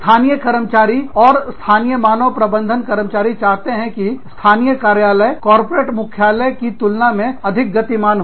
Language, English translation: Hindi, Local workforces and local HR staffs, want the local office dynamics, to be respected by corporate headquarters